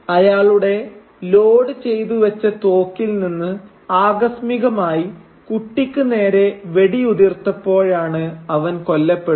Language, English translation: Malayalam, And he accidentally kills him by when sort of his loaded gun fires at the boy and shoots him down